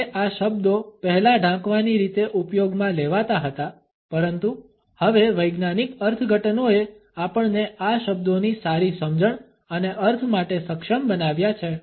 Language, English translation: Gujarati, Even though these words were used earlier in a blanket manner, but now the scientific interpretations have enabled us for a better understanding and connotations of these terms